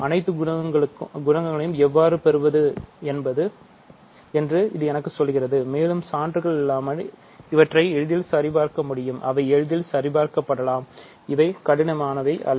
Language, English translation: Tamil, So, this tells me how to get all the coefficients of the product, and again I will simply assert these without proof which can be checked easily and these are not difficult and they are not very illuminating to check